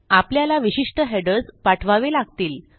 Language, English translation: Marathi, We need to send to specific headers